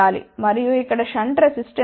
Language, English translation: Telugu, And, here is a shunt resistance